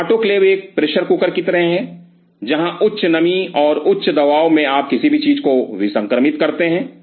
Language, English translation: Hindi, So, autoclave is something like a pressure cooker, where at high moisture and high pressure you sterilize anything